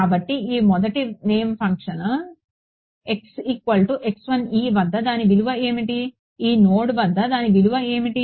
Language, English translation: Telugu, So, this first shape function what is its value at x equal to x 1 e at this node what is its value